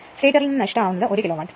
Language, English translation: Malayalam, The stator losses total 1 kilowatt